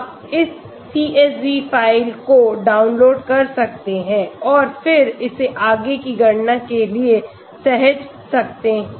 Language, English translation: Hindi, So you want to get more, you can download this CSV file and then save it for further calculation